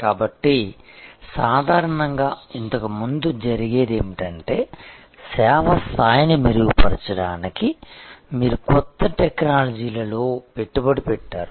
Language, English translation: Telugu, So, normally earlier what was happening was that you invested in new technologies for improving the service level